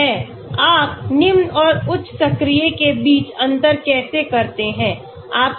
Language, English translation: Hindi, How do you differentiate between the low and the high active